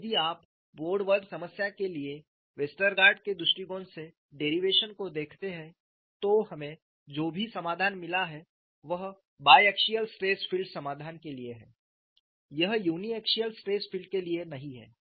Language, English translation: Hindi, If you look at the derivation from Westergaard's approach for the mode 1 problem, whatever the solution that we have got was for a biaxial stress field solution; it is not for a uniaxial stress field